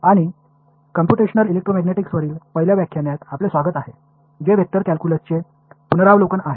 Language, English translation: Marathi, And welcome to the first lecture on Computational Electromagnetics which is the review of Vector Calculus